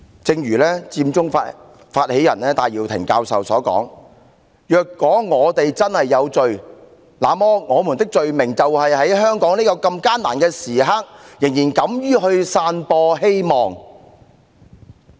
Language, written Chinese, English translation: Cantonese, 正如佔中發起人戴耀廷教授所言："若我們真是有罪，那麼我們的罪名就是在香港這艱難的時刻仍敢於去散播希望。, As Prof Benny TAI the co - founder of Occupy Central said If we were to be guilty we will be guilty for daring to share hope at this difficult time in Hong Kong